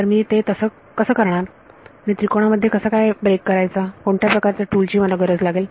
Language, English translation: Marathi, So, I do I how do I break into triangles what is the tool that I need for that